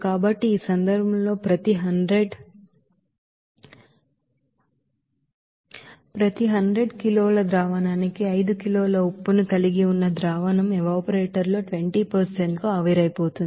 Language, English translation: Telugu, So in this case, if we consider that a solution that contains 5 kg salt per 100 kg solution is evaporated to 20% in an evaporator